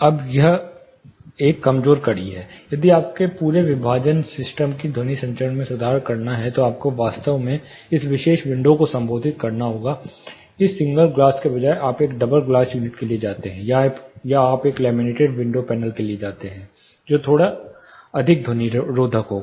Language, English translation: Hindi, Now this is a weaker link, if you have to really improve the sound transmission of the whole partition system, then you have to really address this particular window; say instead of a single glass you go for a double glass unit, or you go for a laminated window panel which will be slightly more sound insulative